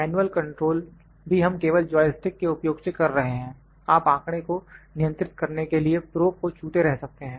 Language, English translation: Hindi, Manually also luck we just using the joystick you can keep touching the probe to control the data